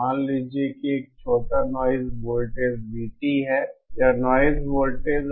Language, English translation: Hindi, Suppose there is a small noise voltage V t, this is the noise voltage